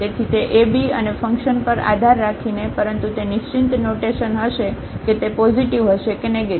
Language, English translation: Gujarati, So, depending on that ab and the function but it will be a definite sign whether it will be positive or negative